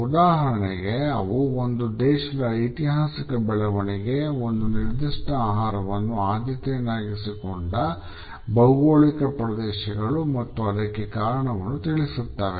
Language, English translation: Kannada, For example, they can tell us about the historical development of a country, the geographical regions where a particular food item is preferred and why